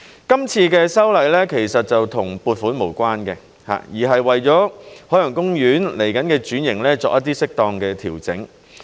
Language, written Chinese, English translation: Cantonese, 今次的修例其實與撥款無關，而是為了海洋公園未來的轉型作一些適當調整。, As a matter of fact this amendment exercise has nothing to do with funding . It is about making some appropriate adjustments for the transformation of OP in the future